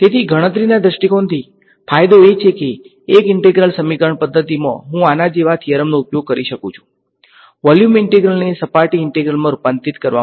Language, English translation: Gujarati, So, from a computational point of view, the advantage is that in an integral equation method what I can use theorems like this, to convert a volume integral into a surface integral